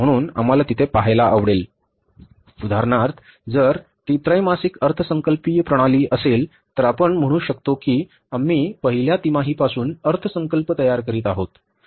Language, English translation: Marathi, So, we like to see that for example if it is a quarterly budgeting system, so we can say for example we are preparing the budget for the first quarter